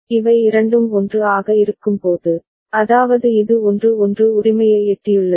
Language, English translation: Tamil, And when both of them are 1, that is it has reached 1 1 right